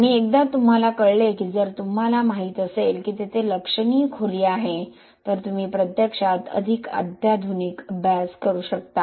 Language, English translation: Marathi, And once you know if you know that there is significant depth then you can actually do more sophisticated studies